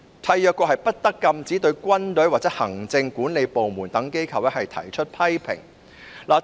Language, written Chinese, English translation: Cantonese, 締約國不得禁止對軍隊或行政管理部門等機構提出批評。, State parties should not prohibit criticism of institutions such as the army or the administration